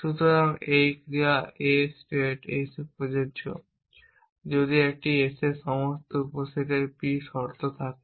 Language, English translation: Bengali, So, an action A is applicable in state s if the p conditions of a all the subset of s essentially